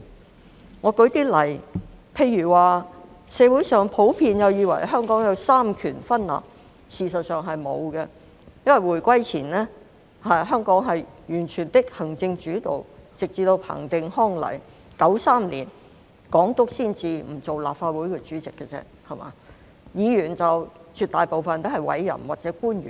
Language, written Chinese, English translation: Cantonese, 讓我舉一些例子，社會上普遍以為香港有三權分立，事實上，是沒有的，因為回歸前，香港是完全的行政主導，直至彭定康來港 ，1993 年港督才不擔任立法局主席而已，議員絕大部分均是委任或由官員擔任。, Our society in general thinks that Hong Kong enjoys separation of powers . As a matter of fact this does not exist here because Hong Kong was entirely executive - led before reunification and it was not until Chris PATTEN came to Hong Kong that the Governor of Hong Kong ceased to take up the position of President of the Legislative Council since 1993 . Back then a majority of the Members were either appointed or public officers